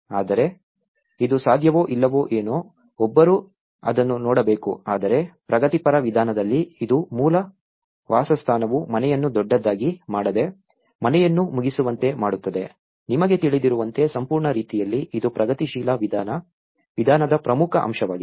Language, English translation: Kannada, But, this is something whether it is possible or not that one has to look into it but whereas, in progressive approach it is unlike the core dwelling is not making a house bigger but were making a house finished you know, to the complete manner, that is the most important aspect of the progressive approach